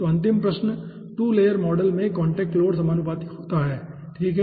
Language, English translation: Hindi, so last question: contact load in 2 layer model is proportional to